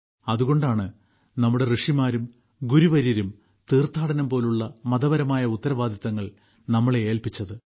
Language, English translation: Malayalam, That is why our sages and saints had entrusted us with spiritual responsibilities like pilgrimage